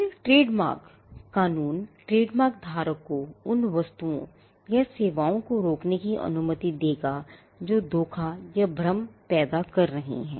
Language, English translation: Hindi, Then the trademark law will allow the trademark holder to stop the goods or services that are causing the deception or the confusion